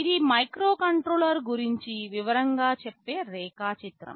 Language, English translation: Telugu, This is a slightly more detailed diagram of a microcontroller